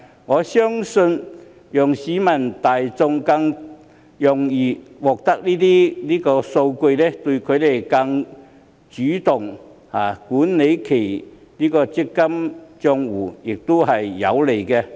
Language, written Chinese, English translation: Cantonese, 我相信讓市民大眾更容易獲取這些數據，有利於他們更主動管理其強積金帳戶。, I believe that by making these data more easily accessible to the general public it will be conducive for them to manage their MPF accounts more proactively